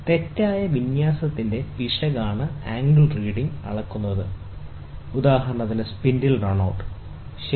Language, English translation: Malayalam, The angle reading is measured for the error of misalignment, for example, spindle run out, ok